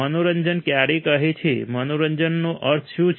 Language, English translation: Gujarati, When say entertainment what does entertainment means